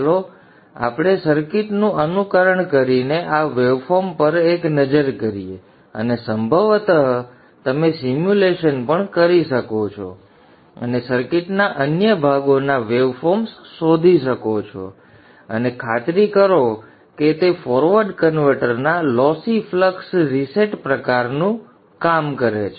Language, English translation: Gujarati, Let us have a look at this waveform by simulating the circuit and probably you can also do the simulation and find out the way forms of other parts of the circuit and ensure that they work similar to the lossy flux reset type of forward converter also